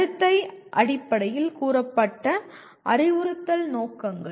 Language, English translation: Tamil, Instructional objectives stated in behavioral terms